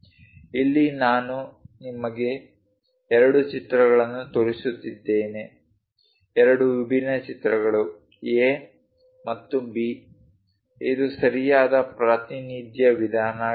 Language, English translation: Kannada, Here, I am showing you two pictures, two different pictures A and B which one is correct way of representation